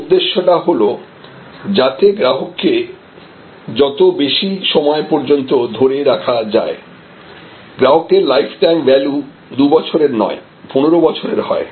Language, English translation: Bengali, The whole purpose is to have a customer for a longer as long as possible, so that this customer lifetime value is not a 2 year value, but is a 15 year value